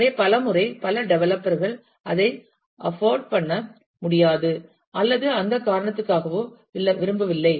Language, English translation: Tamil, So, many a times, many developers may not be able to afford it or like it for that reason